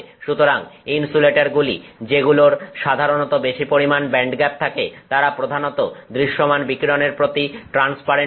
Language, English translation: Bengali, So, insulators which usually have large band gaps are typically transparent to visible radiation